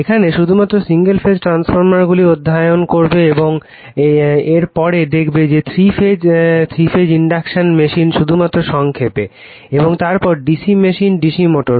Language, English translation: Bengali, That we will study single phase transformers only and after this we will see that your 3 phase induction machine only in brief and then the DC machine will the DC motors right